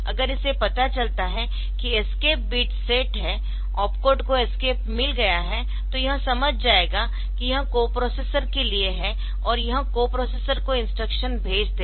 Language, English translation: Hindi, So, if it finds that the there is the escape bit set ok, then the opcode has got an escape part then it will understand that it is further the co processors, it will just pass the instruction to the co processor